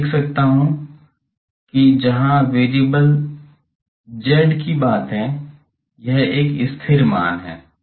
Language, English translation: Hindi, I can write that this is a constant as far as z variable is constant